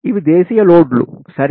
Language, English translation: Telugu, these are domestic loads, right